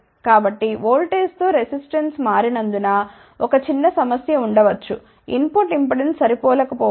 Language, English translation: Telugu, So, there may be a small problem as resistance changes with the voltage the input impedance may not be matched